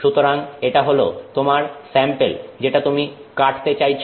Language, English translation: Bengali, So, that is your sample that you are trying to cut